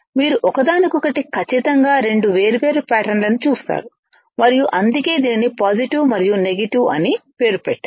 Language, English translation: Telugu, You see absolutely two different patterns of each other and that is why it is named positive and negative